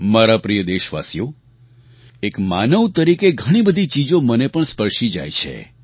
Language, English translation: Gujarati, My dear countrymen, being a human being, there are many things that touch me too